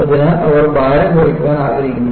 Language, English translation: Malayalam, So, they want to bring down the dead weight